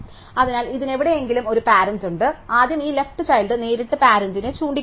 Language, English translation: Malayalam, So, this has a parent somewhere about it, so if first make this left child point directly to the parent